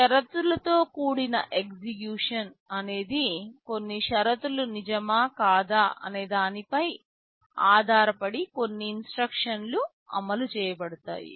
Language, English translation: Telugu, Conditional execution is a feature where some instruction will be executed depending on whether some condition is true or false